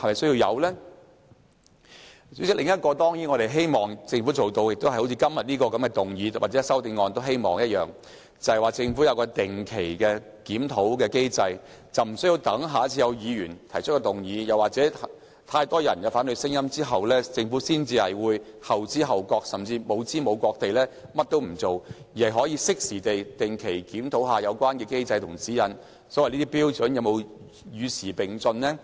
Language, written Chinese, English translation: Cantonese, 主席，我們當然希望政府做到好像今天的議案或修正案提出的，設立一個定期檢討機制，而無須待議員下次提出議案，或有太多人提出反對聲音之後，政府才後知後覺地採取行動，甚至無知無覺地甚麼都不做，而是可以適時地定期檢討有關機制及指引，看看有關標準能否與時並進？, President we certainly hope that the Government can as proposed by the motion or the amendments today put in place a mechanism under which regular reviews will be carried out . We hope that the Government will not wait until a Member has proposed another motion next time or too many people have voiced their objections before it belatedly responds and takes actions or worse still it makes no response and takes no action at all . We hope that the Government will regularly and promptly review the relevant mechanism and guidelines and consider the following questions Are the standards up to date?